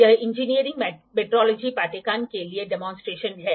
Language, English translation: Hindi, This is the laboratory demonstration for the course engineering metrology